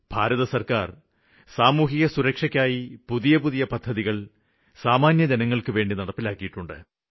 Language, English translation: Malayalam, The government of India has launched various schemes of social security for the common man